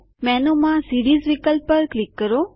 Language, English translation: Gujarati, Click on the Series option in the menu